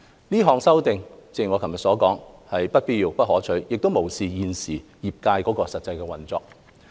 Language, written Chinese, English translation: Cantonese, 有關修正案是不必要和不可取的，亦無視現時行業的實際運作。, These amendments are neither necessary nor desirable ignoring the actual operation of the trade nowadays